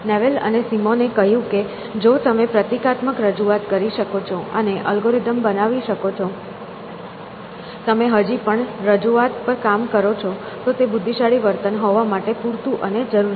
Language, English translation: Gujarati, Simon and Newell they said that if you can create symbolic representations and create algorithm, you still work on this representation; that is sufficient and necessary to create intelligent behavior